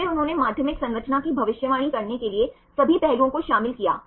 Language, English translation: Hindi, And then they included all the aspects to predict secondary structure